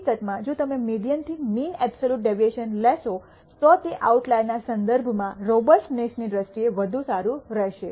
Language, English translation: Gujarati, In fact, if you take the mean absolute deviation from the median, it would be even better in terms of robustness with respect to the outlier